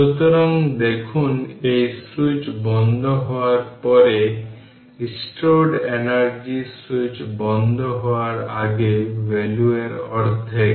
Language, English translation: Bengali, So, we see that the stored energy after the switch is closed is half of the value before switch is closed right